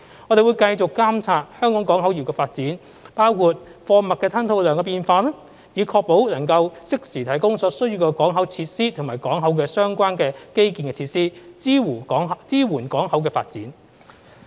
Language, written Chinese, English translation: Cantonese, 我們會繼續監察香港港口業的發展，包括貨物吞吐量的變化，以確保能夠適時提供所需的港口設施及與港口相關的基建設施，支援港口發展。, We will continue to monitor the development of Hong Kongs port business including changes in cargo throughput so as to ensure timely provision of the necessary port facilities and port - related infrastructural facilities to support the development of the port